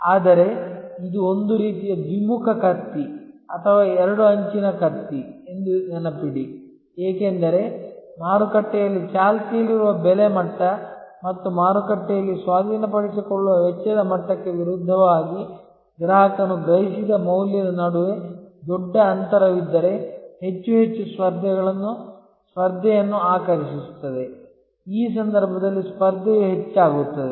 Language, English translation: Kannada, But, remember that this is a kind of a two way sword or two edged sword, because if there is a big gap between the value perceived by the customer versus the prevailing price level in the market, the acquisition cost level in the market, it attracts more and more competition, the competition goes up in this case